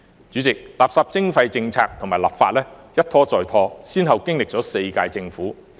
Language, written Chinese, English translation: Cantonese, 主席，垃圾徵費政策和立法一拖再拖，先後經歷了4屆政府。, President the policy and legislation on waste charging have been delayed time and again spanning four terms of the Government